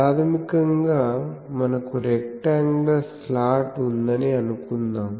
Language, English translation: Telugu, So, let us say that we have a rectangular slot basically